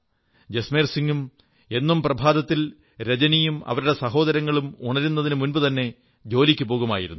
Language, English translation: Malayalam, Early every morning, Jasmer Singh used to leave for work before Rajani and her siblings woke up